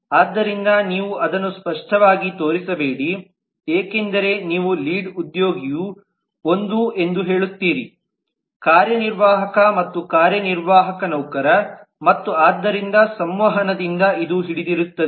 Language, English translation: Kannada, so yo do not explicitly show that because you say that lead is an executive and executive is an employee and therefore by transitivity this holds